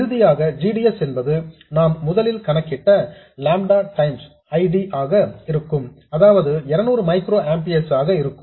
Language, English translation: Tamil, And finally, GDS itself would be lambda times ID that we originally calculated which is 200 microamperes